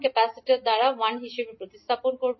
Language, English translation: Bengali, Capacitor will be represented as 1 by s